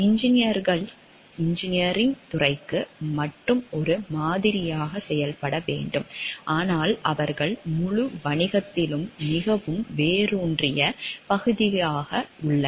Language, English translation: Tamil, Engineers today are required to function not only as a like only for the engineering discipline, but they are a very ingrained part of the whole business